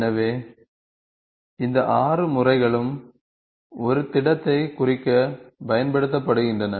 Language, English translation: Tamil, So, all these 6 methods are used to represent a solid